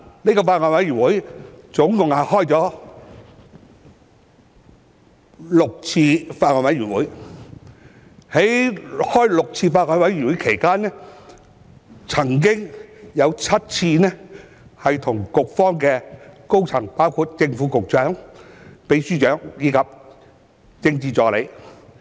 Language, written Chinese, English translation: Cantonese, 這個法案委員會共召開了6次會議，在該6次會議期間，我們曾經7次跟局方高層溝通，包括正/副局長、秘書長及政治助理。, The Bills Committee held a total of six meetings and during those six meetings we communicated with the senior officials of the Bureau seven times including the Secretary for Food and Healththe Under Secretary the Permanent Secretary and the Political Assistant